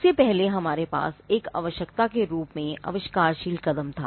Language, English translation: Hindi, Now, the earlier before we had a inventive step as a requirement